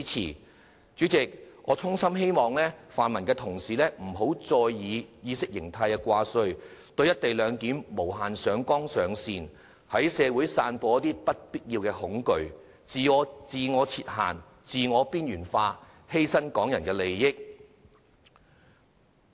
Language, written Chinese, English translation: Cantonese, 代理主席，我衷心希望泛民同事不要再以意識形態掛帥，對"一地兩檢"無限上綱上線，在社會散播不必要的恐懼，自我設限，自我邊緣化，犧牲香港人的利益。, Deputy Chairman I sincerely hope that Honourable colleagues of the pro - democracy camp can stop putting ideology first blowing the issue of co - location up out of proportions unnecessarily spreading fear in society confining themselves to a box resigning themselves to the fate of marginalization and sacrificing the interests of Hong Kong people